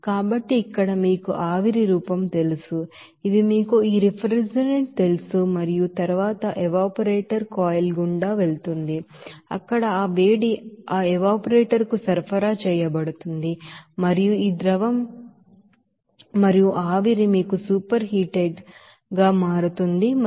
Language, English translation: Telugu, So here this know it will be you know vapor form here this you know this refrigerant and then it will go through that evaporator coil where that heat will be supplied to that evaporator and this liquid and vapor will be you know superheated and at a temperature at a pressure of 81